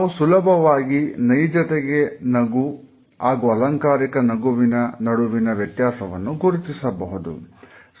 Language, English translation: Kannada, Almost all of us are able to understand the difference between a genuine smile and a synthetic or a plastic smile